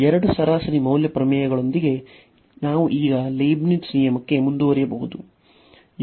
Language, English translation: Kannada, So, with this with these two mean value theorems, we can now proceed for the Leibnitz rule